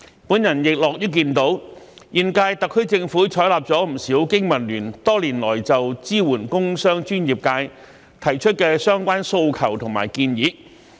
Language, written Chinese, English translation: Cantonese, 我亦樂於看到，現屆特區政府採納了不少經民聯多年來就支援工商專業界提出的相關訴求及建議。, I am also glad to see that the current - term Government has adopted a number of suggestions made by the Business and Professionals Alliance for Hong Kong over the years in regard to supporting the business and professional sectors